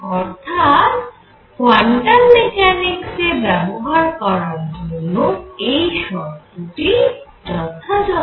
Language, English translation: Bengali, So, this seems to be the right condition for applying quantum mechanics